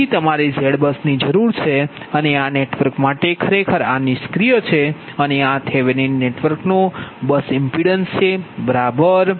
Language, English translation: Gujarati, so you need a z bus and this is that, this network, this is actually a bus impedance of this passive thevenin network